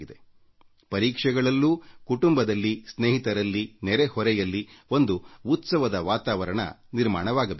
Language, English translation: Kannada, Hence, during examinations too, an atmosphere of festivity should be created in the whole family, amongst friends and around the neighbourhood